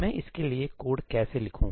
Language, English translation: Hindi, How do I write the code for this